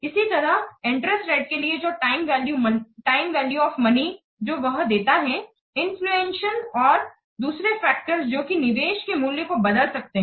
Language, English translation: Hindi, Also the time value of money, it allows for interest rates, inflation and other factors that might alter the value of the investment